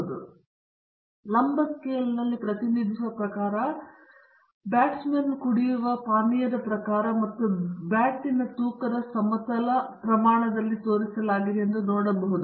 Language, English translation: Kannada, And you can see that the type of the drinkers represented on the vertical scale, and the type of the bat or the weight of the bat is shown on the horizontal scale